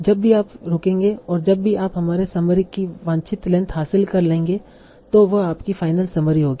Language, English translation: Hindi, And you will stop whenever you have achieved the desired length of your summary